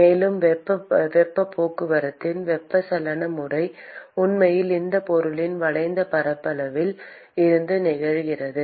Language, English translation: Tamil, And the convective mode of heat transport is actually occurring from the curved surface area of this object